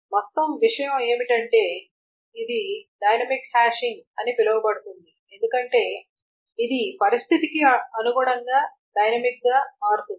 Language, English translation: Telugu, But the whole point is that this is does what is called a dynamic hashing, because this adapts dynamically to the situation